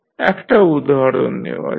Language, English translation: Bengali, Now, let us take another example